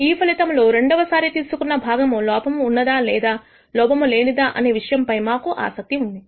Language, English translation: Telugu, We are interested in the outcome whether the second part that we have picked is it a defective part or a non defective part